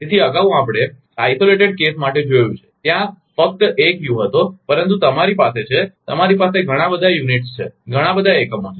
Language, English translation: Gujarati, So, earlier we have seen for isolated case only one u was there, but you have you have so many units are there are so many units are there